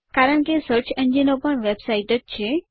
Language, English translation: Gujarati, After all, search engines are websites too